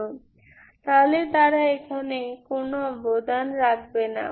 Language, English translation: Bengali, So they won't contribute here